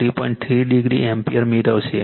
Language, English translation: Gujarati, 3 degree ampere